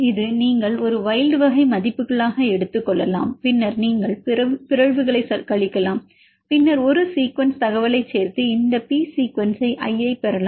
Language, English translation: Tamil, This is you can take it as a wild type values, then you can subtract the mutations then we can include a sequence information and get this P sequence of i